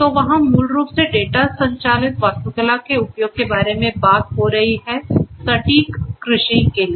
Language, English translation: Hindi, So, there basically this particular work is talking about the use of data driven architecture for; precision agriculture